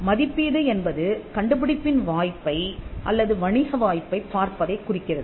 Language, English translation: Tamil, The evaluation refers to looking at the prospect or the commercial prospect of the invention